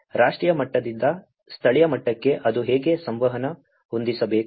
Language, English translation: Kannada, So, from a national level to the local level how it has to set up that communication